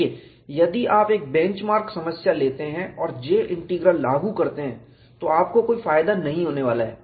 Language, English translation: Hindi, See, if you take a bench mark problem and apply J Integral, you are not going to have any advantage